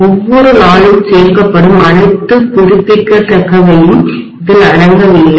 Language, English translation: Tamil, This is not including all the renewable that are being added every day